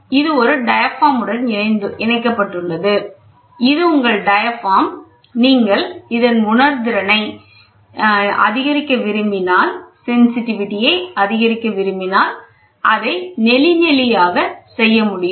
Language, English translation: Tamil, So, this, in turn, is attached to a diaphragm so, this is your diaphragm if you want to increase sensitivity you can make it corrugated